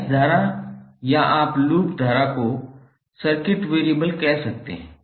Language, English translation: Hindi, Mesh currents or you can say loop current as a circuit variable